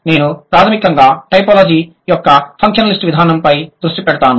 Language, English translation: Telugu, I would primarily focus on the functionalist approach of typology